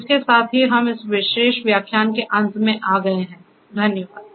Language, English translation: Hindi, With this we come to an end of this particular lecture